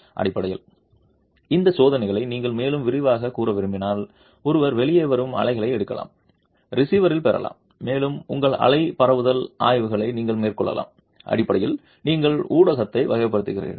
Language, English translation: Tamil, And basically if you want to further elaborate on these tests, one can take the waves that come out at the receiver and you can carry out your wave propagation studies on that and basically you are characterizing the medium